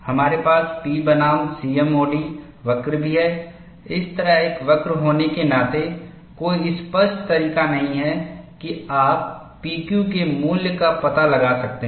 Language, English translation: Hindi, We could also have the P versus C M O D curve, being a curve like this, there is no apparent way, that you can locate the value of P Q